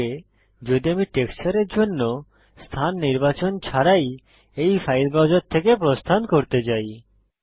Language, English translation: Bengali, What if I want to exit this file browser without selecting a location for the textures